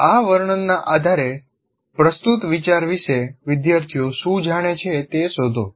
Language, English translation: Gujarati, Based on this description, find out what the students know about the idea presented